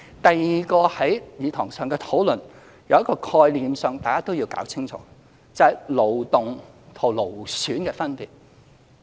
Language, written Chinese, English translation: Cantonese, 第二，在議事堂的討論中，有一個概念大家都要搞清楚，就是勞動與勞損的分別。, Second in the discussion in this Chamber Members should have a clear understanding of a concept that is the difference between manual labour and musculoskeletal disorders